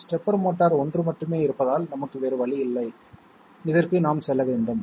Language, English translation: Tamil, Stepper motor, there is only one so we have no choice; we have to go for this